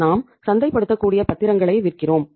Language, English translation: Tamil, We sell the marketable securities